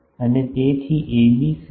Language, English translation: Gujarati, And so, what is AB